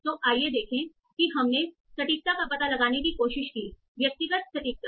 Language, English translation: Hindi, So let us say we try to find out the individual precision